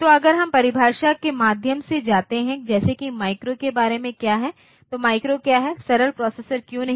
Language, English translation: Hindi, So, if we go by the definition like what about the micro, why micro why not simple processor